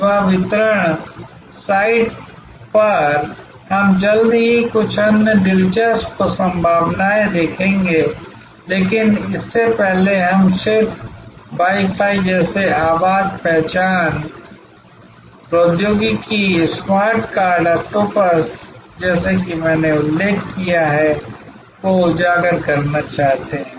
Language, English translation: Hindi, On the service delivery site, we will soon see some other interesting possibilities, but before that, we just want to highlight like Wi Fi, like voice recognition technology, smartcards, like octopus that I mentioned